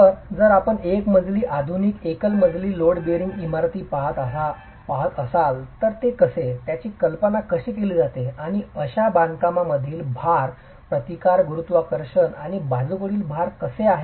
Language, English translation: Marathi, So, if you were to look at single storied, modern single storied load bearing buildings, how do they, how are they conceived and how is the load resistance, both gravity and lateral load in such constructions